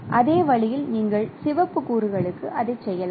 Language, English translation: Tamil, In the same way you can do it for the red components